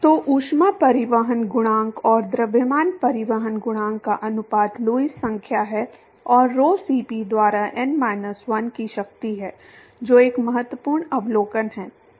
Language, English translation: Hindi, So, ratio of heat transport coefficient and mass transport coefficient is Lewis number to the power of n minus 1 by rho Cp that is an important observation